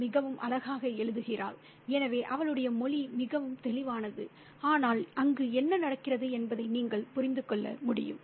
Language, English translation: Tamil, She writes so beautifully, so her language is very lucid, yet you can understand what is happening there